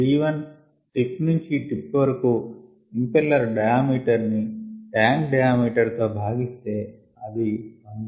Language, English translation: Telugu, i is the impeller diameter tip to tip divided by the tank diameter should be one third